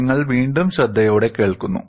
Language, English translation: Malayalam, You listen again carefully